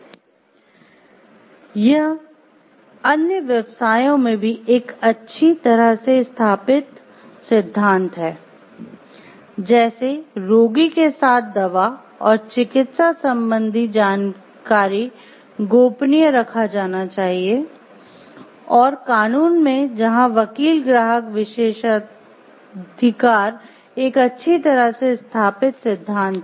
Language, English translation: Hindi, This is a well established principle in other professions as well, such as medicine with the patience medical information must be kept confidential, and in law where attorney client privilege is a well established doctrine